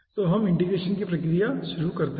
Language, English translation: Hindi, so we can start integration procedure